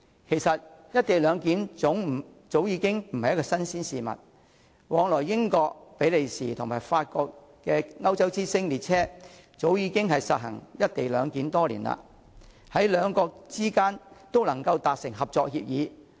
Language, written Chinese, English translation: Cantonese, 其實"一地兩檢"早已經不是新鮮事，往來英國、比利時與法國的"歐洲之星"列車早已實行"一地兩檢"多年，兩國之間也能夠達成合作協議。, In fact the practice of co - location arrangement is nothing new . Eurostar a railway connecting Britain Belgium and France has implemented the co - location arrangement for many years and bi - lateral cooperation agreements were reached among the countries concerned